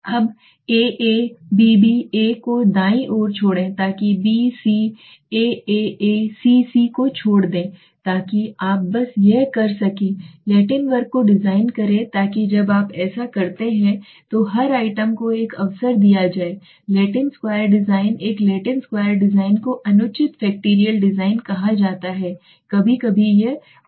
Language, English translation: Hindi, Now leave A come B C A right so B C A leaves A so C A B so this is how simply you can design Latin square so that every item is given an opportunity okay so when you do this in the Latin square design a Latin Square design is called an improper factorial design sometimes it is said okay